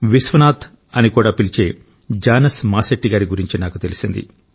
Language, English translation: Telugu, I got an opportunity to know about the work of Jonas Masetti, also known as Vishwanath